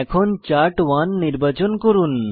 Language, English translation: Bengali, Select Plot to Chart1